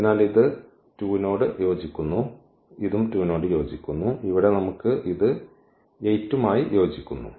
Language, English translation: Malayalam, So, this is corresponding to this 2 this is also corresponding to 2 and here we have this corresponding to this 8